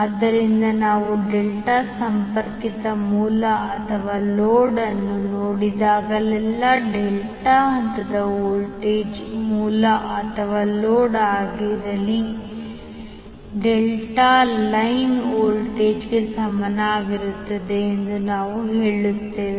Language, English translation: Kannada, So whenever we see the delta connected source or load, we will say that the phase voltage of the delta will be equal to line voltage of the delta whether it is source or load